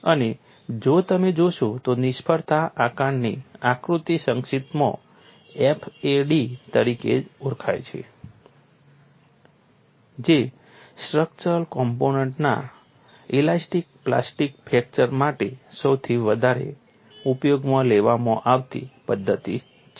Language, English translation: Gujarati, And if you look at the failure assessment diagram abbreviated as FAD is the most widely used methodology for elastic plastic fracture of structural components